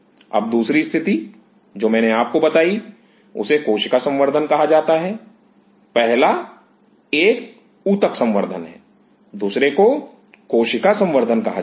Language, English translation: Hindi, Now second situation what I told you is called cell culture; the first one is tissue culture second one is called cell culture